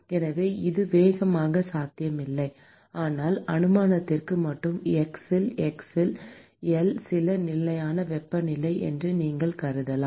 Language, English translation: Tamil, So, this is very unlikely, but just for hypothetical case you can assume that T at x equal to L is some constant temperature